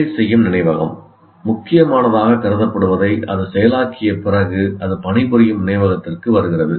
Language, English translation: Tamil, That means after it is processed out, whatever that is considered important, it comes to the working memory